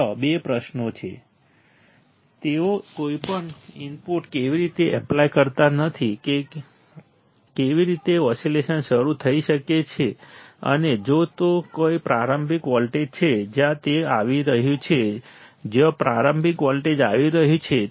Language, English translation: Gujarati, There are two questions right, how they are not applying any input how oscillations can start and if there is a starting voltage from where it is coming from where the starting voltage is coming